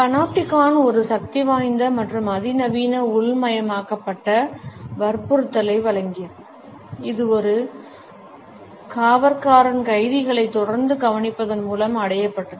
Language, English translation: Tamil, The Panopticon offered a powerful and sophisticated internalized coercion, which was achieved through the constant observation of prisoners by a single sentry